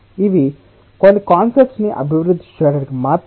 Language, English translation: Telugu, these are just to develop certain concepts